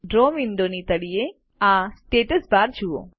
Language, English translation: Gujarati, Look at the Status bar, at the bottom of the Draw window